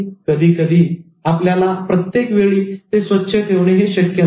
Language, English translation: Marathi, Sometimes it's not possible that you keep it all the time clean